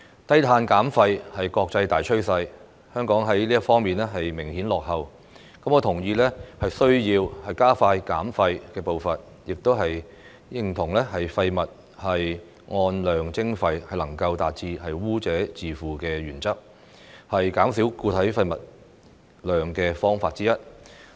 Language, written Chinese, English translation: Cantonese, 低碳減廢是國際大趨勢，香港在這方面明顯落後，我同意需要加快減廢步伐，亦認同廢物按量徵費能夠達致污者自負的原則，是減少固體廢物量的方法之一。, While low carbon and waste reduction have become a major global trend Hong Kong obviously lags behind in this respect . I agree that it is necessary to speed up the pace of waste reduction and that quantity - based waste charging which is in line with the polluter - pays principle is one of the ways to reduce solid waste